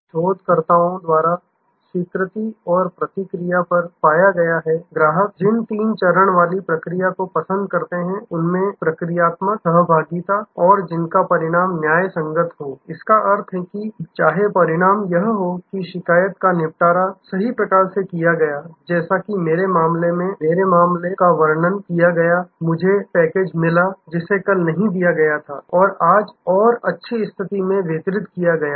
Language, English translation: Hindi, The acceptance and response, researchers are found, the customer's like these three step process, procedural, interactional and outcome justice, which means that, even if the outcome is that the complaint has been set right, like in my case, the case I was describing, I have got my package, which was not delivered yesterday, it has been delivered today and in good condition